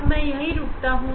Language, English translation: Hindi, I will stop here